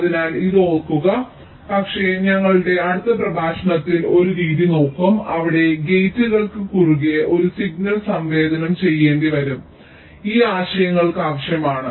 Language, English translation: Malayalam, but because in our next lecture we shall be looking at a method where we may have to sensitize a signal across gates, we need this concepts